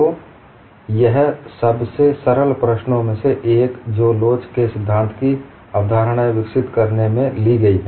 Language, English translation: Hindi, So, this is one of the simplest problems taken up while developing concepts in theory of elasticity